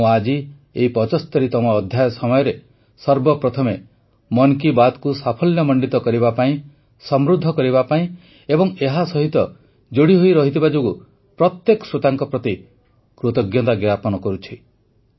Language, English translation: Odia, During this 75th episode, at the outset, I express my heartfelt thanks to each and every listener of Mann ki Baat for making it a success, enriching it and staying connected